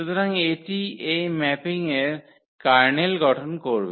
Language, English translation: Bengali, So, this will form the kernel of this mapping